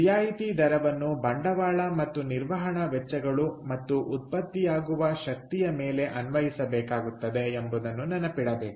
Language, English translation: Kannada, so remember that discount rate has to applied both on the capital and operating costs, as well as the energy that is generated